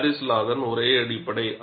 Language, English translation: Tamil, Paris law is the basis